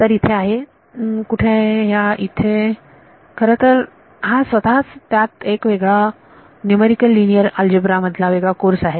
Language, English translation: Marathi, So, here is where this is actually this is in itself for separate course in numerical linear algebra